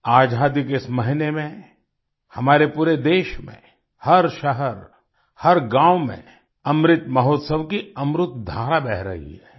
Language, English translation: Hindi, In this month of independence, in our entire country, in every city, every village, the nectar of Amrit Mahotsav is flowing